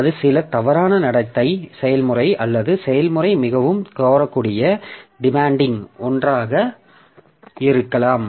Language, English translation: Tamil, So, that may be some either a misbehaving process or the process may be a highly demanding one